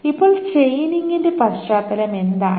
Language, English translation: Malayalam, Now what is in the context of chaining